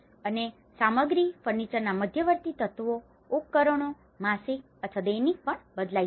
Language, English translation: Gujarati, And the stuff, the intermediate elements of furniture, appliances may change even monthly or even daily